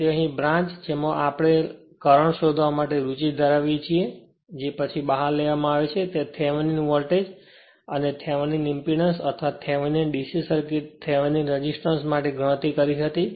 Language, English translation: Gujarati, So, that here what you call the branch which are interested in to find the current that is taken out after that we computed Thevenin voltage and Thevenin impedance right or Thevenin for d c circuit Thevenin resistance right; same way we will do it